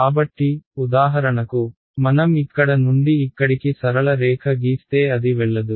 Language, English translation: Telugu, So, for example, if I draw straight line from here to here it does not go